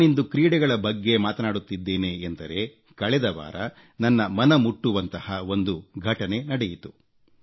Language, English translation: Kannada, I speak about sports today, and just last week, a heartwarming incident took place, which I would like to share with my countrymen